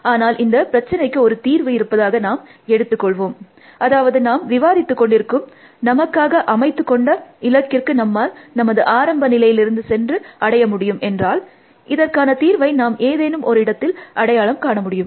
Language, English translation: Tamil, But, let us assume that there is a solution to the problem, which means the goal said that we are talking about, is reachable from the starts state, in which case we would find the solution that some point or the other